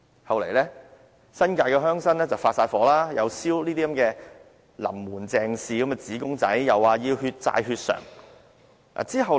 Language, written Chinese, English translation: Cantonese, 後來，惹來新界鄉紳大怒，又燒"林門鄭氏"的紙公仔，又說要"血債血償"。, As a result she caused great fury among the rural forces and they burnt a funeral paper doll bearing the words of LAM CHENG saying that a debt of blood must be repaid in blood